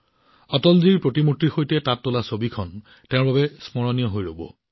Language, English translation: Assamese, The picture clicked there with Atal ji has become memorable for her